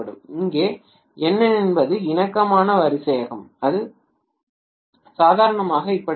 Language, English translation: Tamil, Where N is the harmonic order that is how it is normally